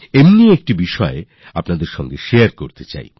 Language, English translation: Bengali, But I do wish to share something with you